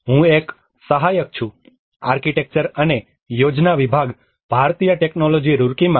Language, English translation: Gujarati, I am an assistant, Department of Architecture and Planning, Indian Institute of Technology, Roorkee